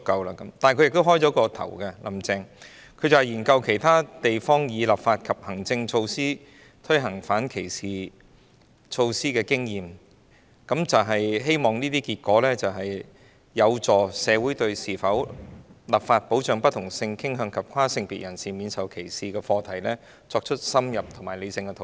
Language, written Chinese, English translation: Cantonese, 但"林鄭"也有開創先河，她說目前正研究其他地方以立法及行政措施推行反歧視措施的經驗，希望研究結果有助社會對應否立法保障不同性傾向及跨性別人士免受歧視的課題作深入及理性的討論。, However Carrie LAM has also blazed a new trail by saying that the Government is currently studying the experience of other places in implementing anti - discrimination measures through administrative and legislative initiatives . Hopefully the findings will facilitate a more in - depth and rational discussion in the community on the issue of whether legislation should be introduced to protect people of different sexual orientations and transgenders against discrimination